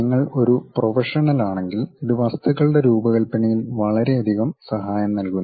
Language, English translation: Malayalam, If you are a professional this gives you enormous help in terms of designing the objects